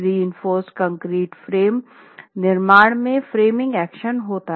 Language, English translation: Hindi, The reinforced concrete frame construction has framing action